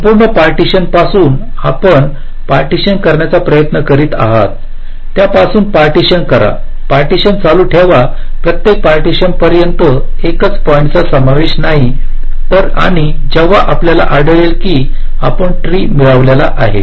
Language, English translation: Marathi, you are trying to divide them, partition them, go on partitioning till each partition consist of a single point and when you get that you have already obtained the tree right